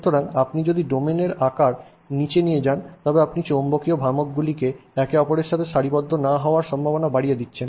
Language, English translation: Bengali, So, but if you go below the domain size then you are increasing the chances that the magnetic moments will not align with each other